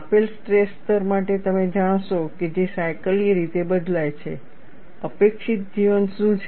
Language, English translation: Gujarati, You will know for a given stress level which is cyclically varying, what is the expected life